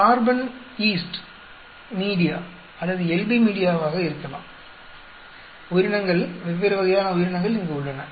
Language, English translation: Tamil, Carbon could be east media or LB media and so on organisms, different types organisms here